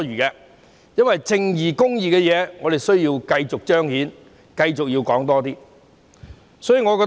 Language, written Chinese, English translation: Cantonese, 我認為並不多餘，因為我們需要繼續彰顯公義，所以要繼續討論。, I do not think so . We have to continue the discussion because we should see justice done